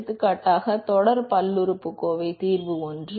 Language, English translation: Tamil, For example, series polynomial solution is one